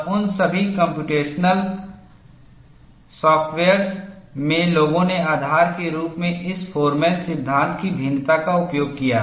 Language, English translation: Hindi, In all those computational softwares, people have used variation of this Forman law, as the basis